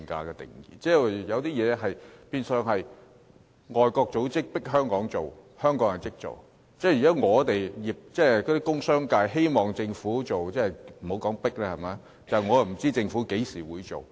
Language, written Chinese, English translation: Cantonese, 有些東西變相是外國組織迫香港做，香港就立即做，但工商界希望政府做，卻不知道政府何時才會做。, In a sense Hong Kong will take immediate actions when pressed by foreign organizations; but if the commercial and industrial sectors request the Government to take certain actions it is uncertain when the actions will be taken